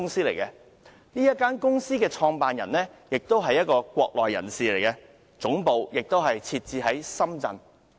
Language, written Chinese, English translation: Cantonese, 這是一間大陸公司，其創辦人亦是一名國內人士，總部設在深圳。, It is a Mainland company headquartered in Shenzhen and its founder is also a Mainlander